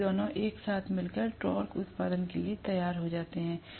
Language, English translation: Hindi, So both of them put together ultimately makes up for the torque production